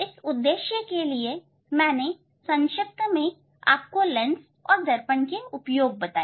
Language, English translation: Hindi, That is the purpose of just briefing the application of this lens and mirror